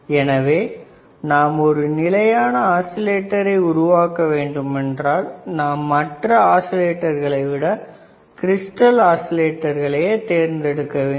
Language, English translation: Tamil, So, when you have, when you want to have a stable when you want to design a stable oscillator, the crystal oscillators are preferred are preferred over other kind of oscillators